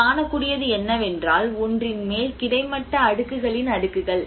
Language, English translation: Tamil, \ \ \ Now, what we can see is the layers of the horizontal layers of one over the another